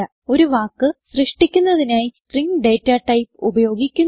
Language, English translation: Malayalam, To create a word, we use the String data type